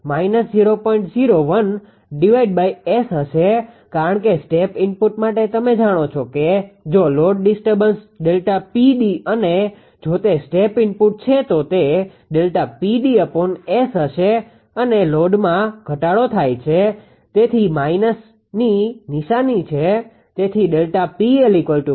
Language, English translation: Gujarati, 01 upon S because for a step input; you know if the load disturbance say delta P d and if it is a step input then it will be delta P d upon S and load decrease; so, minus sign